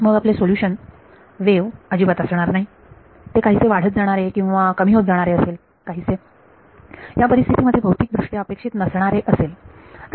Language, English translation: Marathi, Our solution is no longer a wave, it is attenuating or increasing something which is not physically expected in this situation